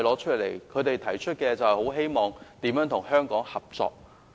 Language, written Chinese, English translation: Cantonese, 他們均指出希望與香港合作。, They invariably pointed out that they wished to cooperate with Hong Kong